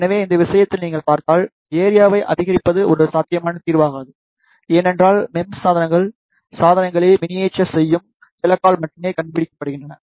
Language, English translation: Tamil, So, if you see in this case the increase in area is not a feasible solution, because the MEMS devices are invented by the target of miniaturizing the devices only